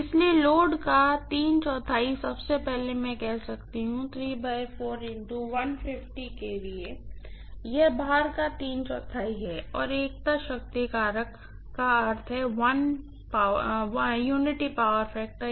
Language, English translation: Hindi, So, three fourth of load first of all I can say 3 by 4 times 150 kVA, this is three fourth of full load and unity power factor means 1 is the power factor